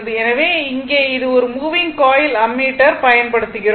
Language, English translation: Tamil, So, here it is a moving coil ammeter